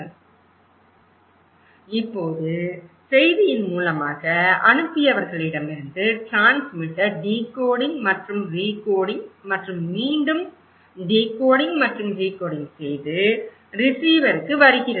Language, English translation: Tamil, Refer Slide Time: 10:08) Now, the source of message so from senders to the transmitter decoding and recoding and then again decoding and recoding, coming to the receiver